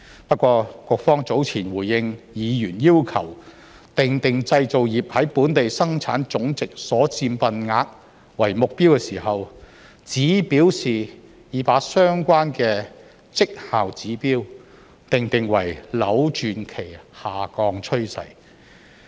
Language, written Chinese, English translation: Cantonese, 不過，局方早前回應議員要求訂定製造業在本地生產總值所佔份額為目標時，只表示已把相關的績效指標訂定為"扭轉其下降趨勢"。, Nevertheless in its reply to a Members request to set a target for the manufacturing sectors contribution to Gross Domestic Product the bureau only states that its target for the Key Performance Indicator is to reverse its declining trend